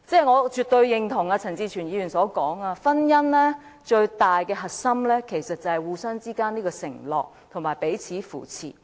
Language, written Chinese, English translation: Cantonese, 我絕對認同陳志全議員所說，婚姻最重要的核心其實是互相之間的承諾及彼此扶持。, I absolutely share the view of Mr CHAN Chi - chuen that the most central core of marriage is in fact the vows made between two people and the support given to each other